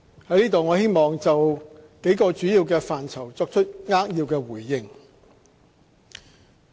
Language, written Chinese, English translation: Cantonese, 在此我希望就幾個主要範疇作出扼要回應。, Now let me briefly respond to some of the major areas